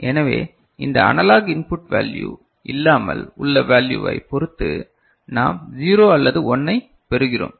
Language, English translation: Tamil, So, depending on the value without this analog input value is more or less right we are getting 0 or 1